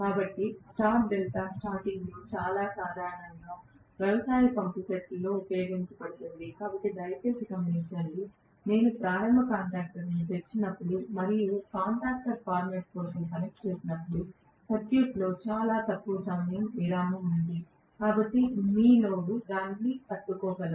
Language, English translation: Telugu, So star delta starting is very very commonly used in agricultural pump sets, but please note, when I am opening the starting contactors and later on connecting it in for running contactor format, there is break in the circuit for a very short while, so your load should be able to withstand that